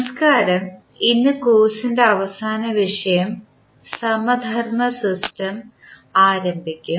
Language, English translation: Malayalam, Namaskar, so today we will start our last topic of the course that is analogous system